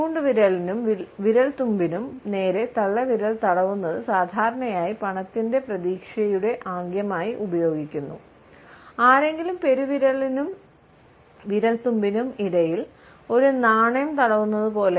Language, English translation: Malayalam, Rubbing the thumb against the index finger or fingertips is used as a money expectancy gesture normally, as if somebody is rubbing a coin between the thumb and the fingertips